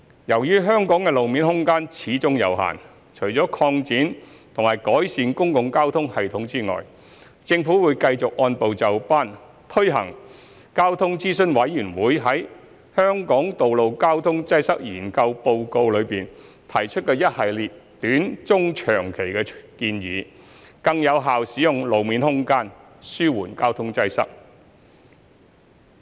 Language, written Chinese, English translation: Cantonese, 由於香港的路面空間始終有限，除了擴展和改善公共交通系統外，政府會繼續按部就班推行交通諮詢委員會在《香港道路交通擠塞研究報告》中提出的一系列短、中及長期建議，更有效使用路面空間，紓緩交通擠塞。, As the road space in Hong Kong is limited after all apart from expanding and enhancing the public transport system the Government will continue to introduce a progressively a series of short medium to long - term recommendations put forth by the Transport Advisory Committee TAC in the Report on the Study of Road Traffic Congestion in Hong Kong to make more effective use of road space and alleviate traffic congestion